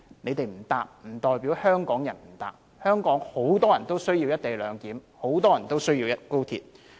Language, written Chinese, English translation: Cantonese, 他們不乘搭高鐵，不代表香港人不乘搭，香港很多人需要"一地兩檢"、很多人需要高鐵。, They do not want to take the XRL but this does not mean that Hong Kong people are like them . Many Hong Kong people need the co - location arrangement and the XRL